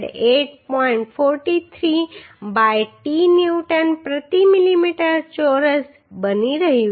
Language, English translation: Gujarati, 43 by t Newton per millimetre square